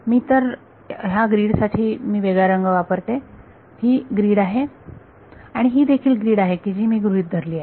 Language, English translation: Marathi, So, the grid is let me use a different color the grade is this, this is still the grid I am considering